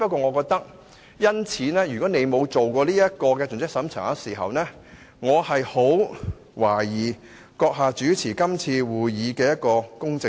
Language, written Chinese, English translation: Cantonese, 我只是認為，如果你沒有作盡職審查，我便十分懷疑由主席你主持今次會議是否公正。, I only think that if you have never carried out any due diligence exercise I will have to query if you the President have been fair and just when chairing this meeting